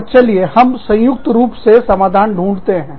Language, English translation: Hindi, And, let us jointly, find a solution